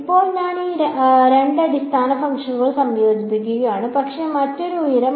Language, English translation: Malayalam, Now, I am combining these two basis functions, but with a different height